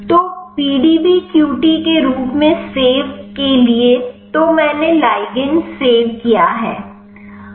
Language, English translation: Hindi, So, save as PDBQT so, I have save the ligand